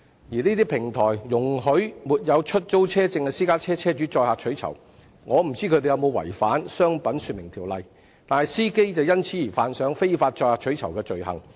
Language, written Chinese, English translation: Cantonese, 這些平台容許沒有出租汽車許可證的私家車車主載客取酬，我不知道有否違反《商品說明條例》，但司機卻會因而觸犯非法載客取酬的罪行。, I do not know if these platforms which allow private car owners to provide carriage services without HCPs have contravened the Trade Descriptions Ordinance but drivers have committed an offence for carrying passengers illegally for reward